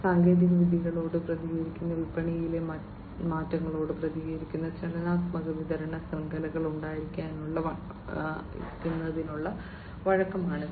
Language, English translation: Malayalam, So, this is flexibility is about having dynamic supply chains, which are responsive to technologies, responsive to market changes, and so on